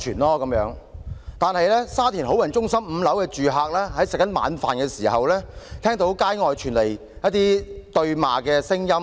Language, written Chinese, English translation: Cantonese, 可是，沙田好運中心5樓的住客吃晚飯時，聽到街外傳來對罵聲。, Yet while having dinner one night a resident living on the fifth floor of Lucky Plaza of Sha Tin heard the sound of bickerings from the streets